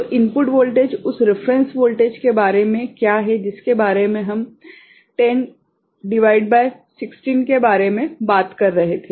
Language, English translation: Hindi, So, the input voltage is in between what about the reference voltage that we were talking about within 10 upon 16